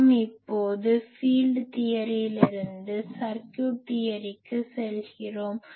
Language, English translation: Tamil, So; that means, we can now go at our will from field theory to circuit theory